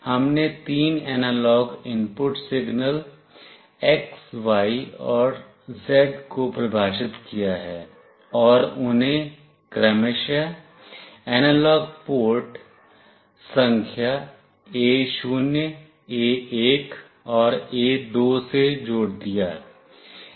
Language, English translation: Hindi, We defined three analog input signals x, y, z and connected them to analog port numbers A0, A1 and A2 respectively